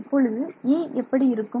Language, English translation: Tamil, So, E x